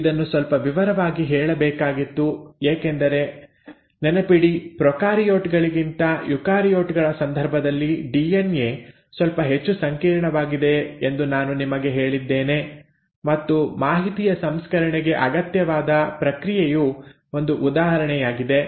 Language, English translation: Kannada, So this was a little bit of a detailing which had to be told because I told you, remember, that the DNA is a little more complex in case of eukaryotes than prokaryotes and part of it, one of the examples is this process which is necessary for the processing of the information